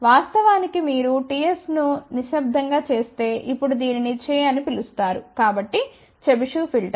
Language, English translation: Telugu, But if you make that ts relatively silent hm, in fact, now it is more known as che, ok so, Chebyshev filter